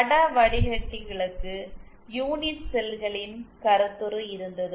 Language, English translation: Tamil, And for the image filters, there was the concept of unit cells